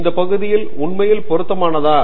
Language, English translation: Tamil, Is this area really relevant